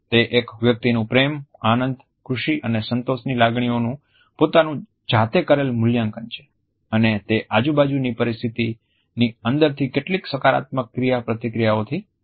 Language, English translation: Gujarati, It is an individual’s, self reported evaluation of feelings of love or joy or pleasure and contentment and it comes from several positive interactions within environmental stimuli